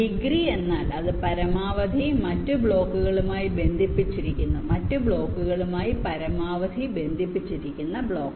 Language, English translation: Malayalam, degree means it is connected to maximum other blocks, the block which is maximally connected to other blocks